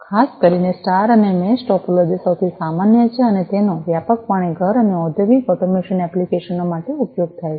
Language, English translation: Gujarati, Particularly, the star and the mesh topologies are the most common and are widely used for home and industrial automation applications